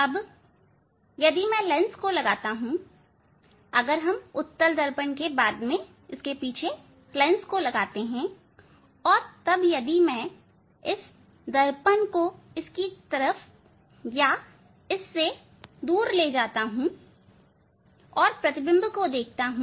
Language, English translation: Hindi, Now, if I put a lens between after the if we put the mirrors convex mirrors after the lens then if I move if I just move this mirrors to and fro then and look image